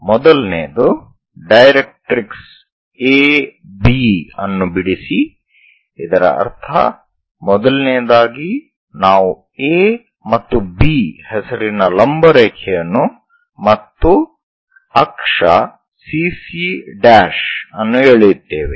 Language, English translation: Kannada, The first one is draw directrix A B, so that means, first of all, a vertical line we are going to draw name it A and B and also axis CC prime